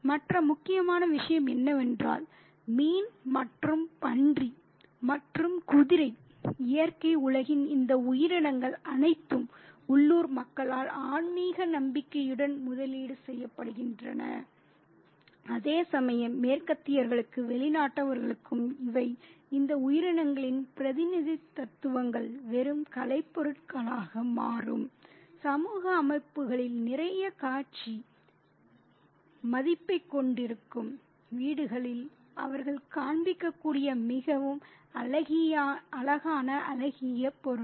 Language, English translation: Tamil, And the other important thing is that fish and boar and horse, all these creatures of the natural world are invested with spiritual faith by the local population, whereas to the Westerners, to the foreigners, these are representations of these creatures become just out objects, really pretty useful, really pretty aesthetic objects that they can display in their homes which have a lot of display value in social settings